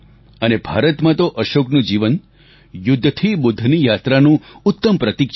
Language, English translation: Gujarati, And in India, Ashok's life perfectly epitomizes the transformation from war to enlightenment